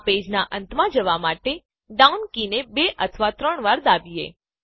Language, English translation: Gujarati, Press the down arrow key two or three times to go to the end of this page